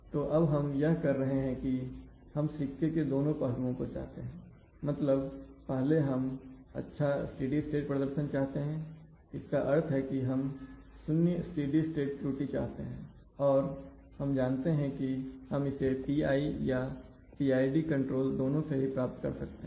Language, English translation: Hindi, So now what we do is that, we want to have both sides of the coin, we firstly, we want to have good steady state performance in the sense that we want to have zero steady state error, we know that we can get PI, we can get it from PI as well as PID control